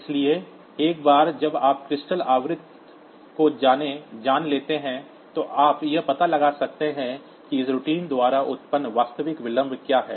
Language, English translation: Hindi, So, once you know the crystal frequency, so you can find out what is the actual delay that is produced by this routine